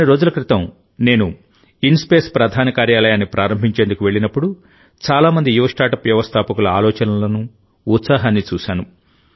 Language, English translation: Telugu, A few days ago when I had gone to dedicate to the people the headquarters of InSpace, I saw the ideas and enthusiasm of many young startups